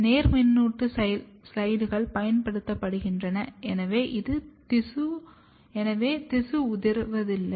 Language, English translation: Tamil, Therefore, the positive slides are used and the tissue does not fall off